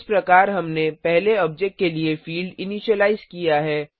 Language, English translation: Hindi, Thus we have initialized the fields for the first object